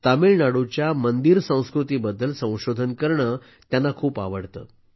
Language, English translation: Marathi, He likes to research on the Temple culture of Tamil Nadu